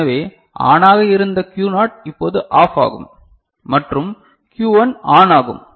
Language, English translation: Tamil, So, Q naught which was ON now becomes OFF right and Q 1 becomes ON ok